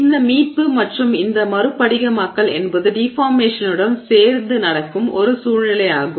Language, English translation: Tamil, Now, this recovery and dynamic recrystallization is a situation where this is happening alongside deformation